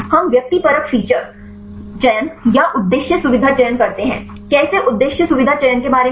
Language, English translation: Hindi, We do the subjective feature selection or the objective feature selection; how about the objective feature selection